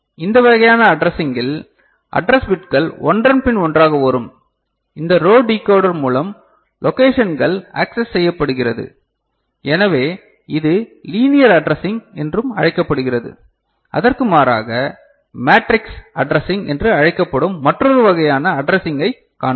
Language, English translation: Tamil, And this kind of addressing where the address bits are coming and one after another; these row decoding I mean, through a row decoder the locations are being accessed; so this is also known as linear addressing ok and in contrast to that we shall see another kind of addressing which is called matrix addressing ok